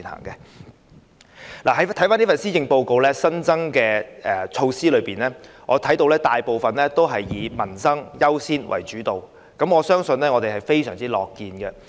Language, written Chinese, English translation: Cantonese, 在施政報告提出的新措施中，我看見大部分均以民生優先為主導，我們對此十分歡迎。, I see that most of the new measures proposed in the Policy Address zero in on livelihood priorities